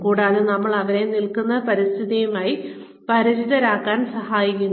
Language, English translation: Malayalam, And, we help them, become familiar with the environment, they find themselves in